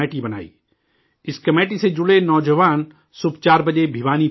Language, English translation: Urdu, The youth associated with this committee reach Bhiwani at 4 in the morning